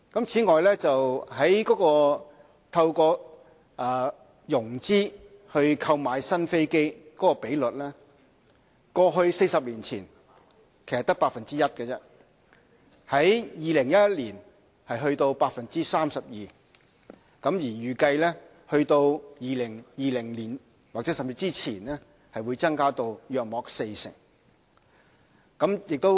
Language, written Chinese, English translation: Cantonese, 此外，透過融資購買新飛機的比率 ，40 年前只是 1%， 在2011年達到 32%， 而預計在2020年甚至之前將增加至約四成。, Moreover the proportion of new aircraft purchased by financing rose from 1 % 40 years ago to 32 % in 2011 . This proportion is expected to grow to about 40 % by 2020 or even earlier